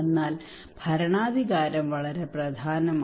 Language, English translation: Malayalam, But for the governance power is very important